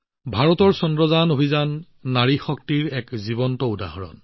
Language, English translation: Assamese, India's Mission Chandrayaan is also a live example of woman power